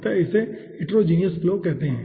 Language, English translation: Hindi, so that is called heterogeneous flow